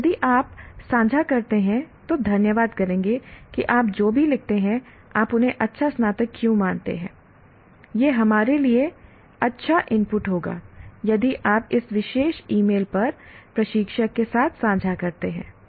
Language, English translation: Hindi, And we'll thank you if you share that whatever you write as why do you consider him a good graduate, it will be good input to us if you share with the instructor at this particular email